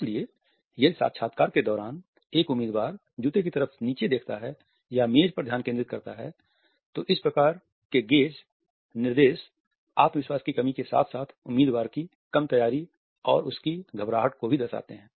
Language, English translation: Hindi, So, if a candidate during an interview looks down at the shoes or focus is on the table, then these type of gaze directions convey a lack of confidence less prepared candidate as well as a nervousness on his or her part